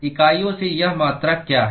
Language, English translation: Hindi, So, what are the units of this quantity